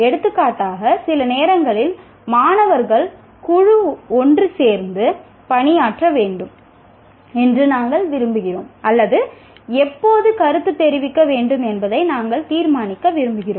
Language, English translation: Tamil, For example, sometimes we want a group of students to work together or we want to decide when to exactly to give feedback